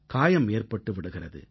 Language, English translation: Tamil, An injury can also occur